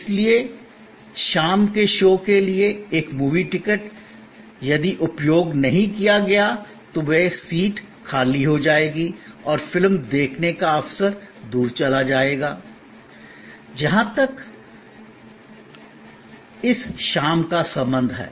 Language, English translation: Hindi, So, a movie ticket for this evening show, if not utilized that seat will be vacant and that opportunity for seeing the movie will be gone as far as this evening is concerned